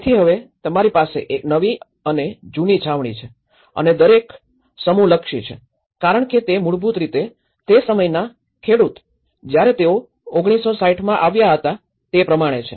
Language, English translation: Gujarati, So, now, one is you have the new camps and the old camps and each cluster has been oriented because they are basically, the farmers in that time when they came to 1960s